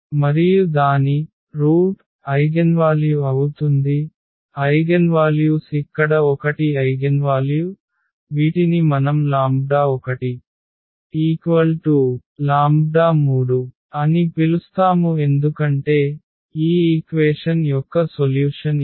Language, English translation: Telugu, And its root that will be the eigenvalue; so, eigen values are the 1 eigenvalue here which we are calling lambda 1 that is 3 because, this is the solution of this equation